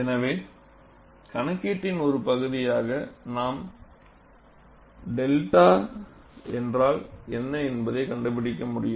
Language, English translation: Tamil, So, as part of the calculation we will have to find out, what is delta